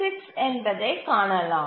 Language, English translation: Tamil, 6 we'll come to that